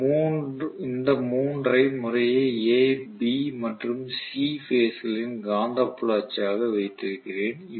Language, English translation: Tamil, So I have these 3 as the magnetic field axis of A, B and C phases respectively